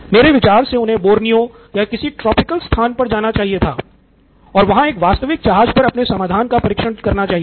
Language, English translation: Hindi, To me in hindsight looks like he should have gone to Borneo or some tropical place and tested his idea and on a real ship